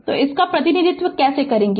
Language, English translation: Hindi, So how we will represent this one